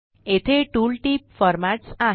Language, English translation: Marathi, The tooltip here says Formats